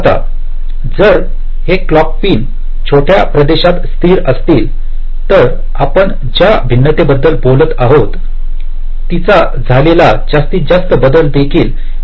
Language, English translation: Marathi, now, if this clock pins are constrained to be located within a small region, then this maximum variation that we are talking about, that variation can also be controlled